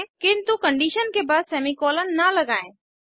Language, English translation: Hindi, * But dont add semi colons after the condition